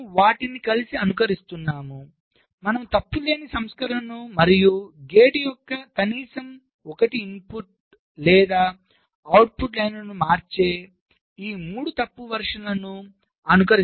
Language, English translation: Telugu, you are simulating the fault free version as well as this three faulty versions which change at least one input or output lines of the gate